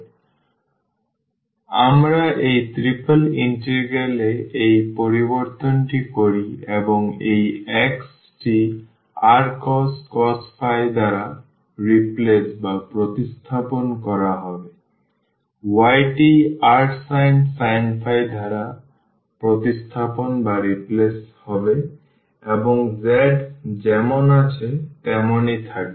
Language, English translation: Bengali, So, the only change when we do this change in this triple integral this x will be replace by r cos phi, y will be replace by r sin phi and z will remain as it is